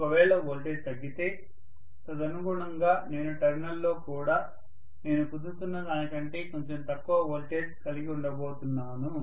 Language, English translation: Telugu, If the voltage is decreased correspondingly I am going to have in the terminal also, a little less voltage than what I was getting